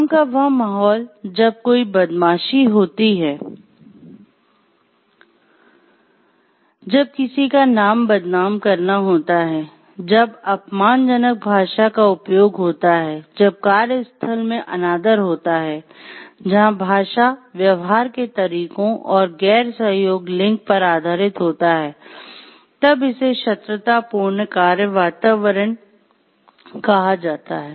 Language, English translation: Hindi, It is the work environment which is like, when there is a bullying, when there is name calling, when there is use of abusive language, where there is like disrespect in the workplace which focuses on the even language ways of behavior and non cooperation based on the genders, then it is called a hostile work environment